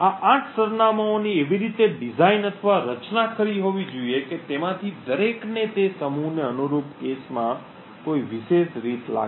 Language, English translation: Gujarati, The 8 addresses should be designed in such a way or should be crafted in such a way such that each of them feels a particular way in a cache corresponding to that set